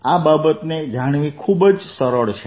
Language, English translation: Gujarati, this very easy to see